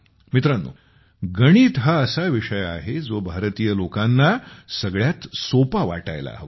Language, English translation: Marathi, Friends, Mathematics is such a subject about which we Indians should be most comfortable